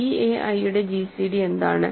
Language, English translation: Malayalam, So, a i's have gcd 1